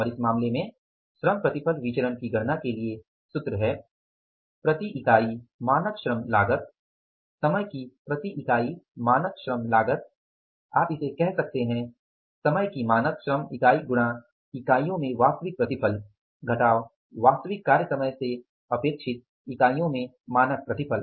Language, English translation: Hindi, So, this labor yield variance is that is the standard labor cost per unit, standard labor cost per unit of time into actual yield in units minus standard yield in units expected from the actual time worked for, expected from the actual time worked for